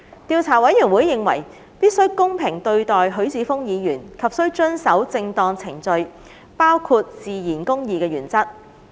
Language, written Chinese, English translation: Cantonese, 調査委員會認為必須公平對待許智峯議員及須遵守正當程序，包括自然公義的原則。, The Investigation Committee considers that it must be fair to Mr HUI Chi - fung and observe the due process including the principles of natural justice